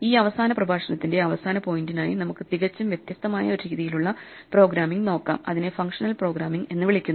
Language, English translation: Malayalam, For a final point of this last lecture, let us look at a completely different style of programming which is called Functional programming